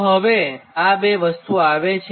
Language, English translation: Gujarati, so now how this two things are coming